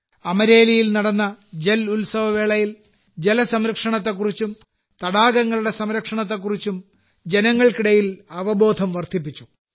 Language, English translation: Malayalam, During the 'JalUtsav' held in Amreli, there were efforts to enhance awareness among the people on 'water conservation' and conservation of lakes